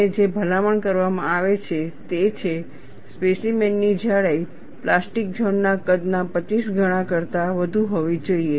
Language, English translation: Gujarati, And what is recommended is, the specimen thickness should be more than 25 times of the plastic zone size